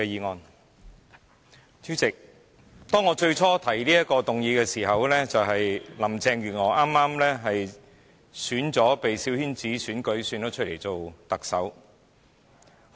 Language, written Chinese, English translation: Cantonese, 代理主席，我當初提出這項議案時，正值林鄭月娥被小圈子推選為特首。, Deputy President when I initially introduced this motion Carrie LAM was being elected the Chief Executive through a coterie election